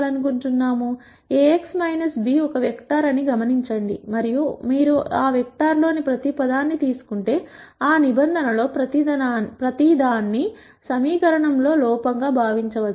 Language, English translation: Telugu, Notice that Ax minus b is a vector and if you take each term in that vector you can think of each of those terms as an error in an equation